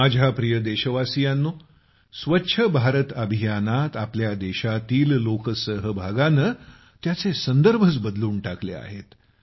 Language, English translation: Marathi, My dear countrymen, Swachh Bharat Abhiyan has changed the meaning of public participation in our country